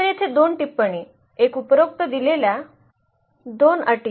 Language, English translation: Marathi, So, here 2 remarks, one the 2 conditions given above